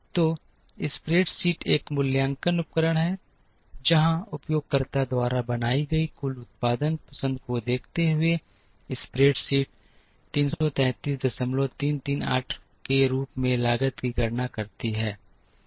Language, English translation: Hindi, So, the spreadsheet is an evaluative tool, where given the total production choices made by the user the spreadsheet calculates the cost as 33